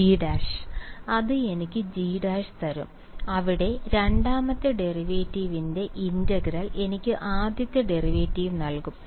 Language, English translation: Malayalam, It will give me G dash, there integral of the second derivative will give me first derivative right